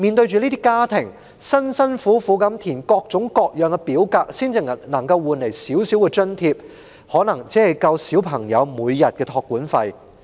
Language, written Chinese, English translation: Cantonese, 這些家庭辛辛苦苦地填寫各種各樣的表格，換來的少許津貼恐怕只夠應付小朋友每天的託管費。, These families took all the trouble to complete all kinds of forms . The meagre allowance they got in return I am afraid could barely meet the daily expenses for after - school care of their children